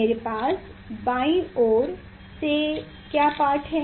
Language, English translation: Hindi, What is the reading from left side I got